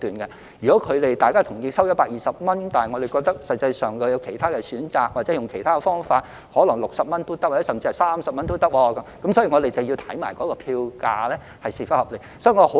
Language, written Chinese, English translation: Cantonese, 例如雙方同意收取120元，但我們認為實際上有其他選擇，或用其他方法可能只需60元甚至30元，所以我們要同時研究票價是否合理。, For instance both parties agreed to charge 120 but we think that there are actually other alternatives or there are other options costing only 60 or even 30 . Therefore we must study the reasonableness of fares at the same time